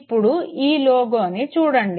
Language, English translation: Telugu, Now look at this very logo